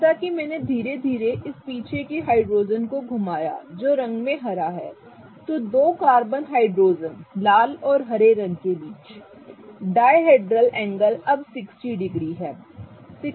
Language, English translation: Hindi, As I slowly rotate this back hydrogen which is green in color, the dihedral angle between the two carbon hydrogens, the red and the green one, is now 60 degrees